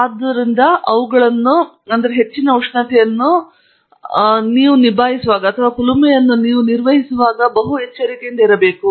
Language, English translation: Kannada, So those are very high temperatures and you need to be careful when you handle furnaces